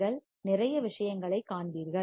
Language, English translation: Tamil, You will see lot of things